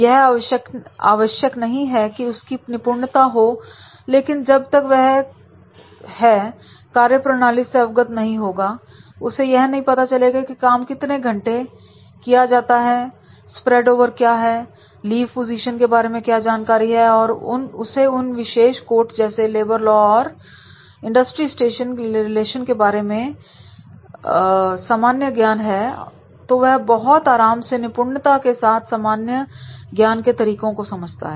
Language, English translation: Hindi, He may not be expertise in that but unless and until if he is not aware about that is what can be working hours, what can be the spread over, what can be the lieu positions and then if he is clear general knowledge is there about this particular courses are these like labor laws and industrial relations then definitely he will be supported by the efficient methods of these general knowledge courses